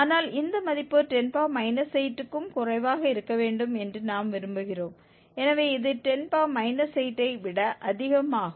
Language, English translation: Tamil, 9 but we want this value to be less than 10 raised to power 8, so this is greater than 10 raised to power 8